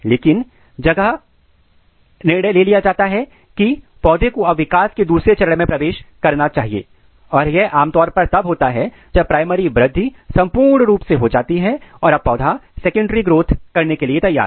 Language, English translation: Hindi, But what happens when there is a decision taken place that now plant should enter the process of secondary growth typically this happens when primary growth is achieved significantly so that they can sustain secondary growth